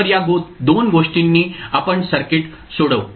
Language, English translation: Marathi, So with these 2 things let us proceed to solve the circuit